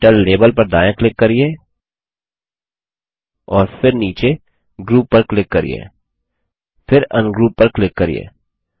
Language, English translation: Hindi, Right click on the Title label and then click on Group at the bottom then click on Ungroup